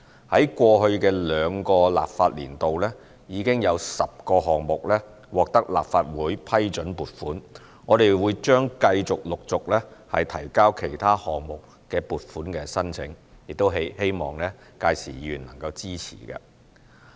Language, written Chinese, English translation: Cantonese, 在過去的兩個立法年度，已有10個項目獲得立法會批准撥款，我們將繼續、陸續提交其他項目的撥款申請，亦希望屆時議員能夠支持。, In the past two legislative sessions a total of 10 projects were granted funding approval by the Legislative Council . We will continue to submit funding applications for other projects to the Legislative Council and we hope to get Members support by then